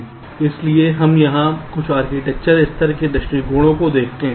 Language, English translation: Hindi, so we look at some of the architecture level approaches here